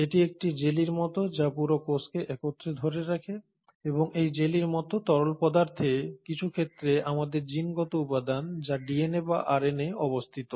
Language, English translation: Bengali, Now this is a fluid, a jelly like fluid which holds the entire cell together and it is in this jellylike fluid, the genetic material which is our DNA or RNA in some cases is present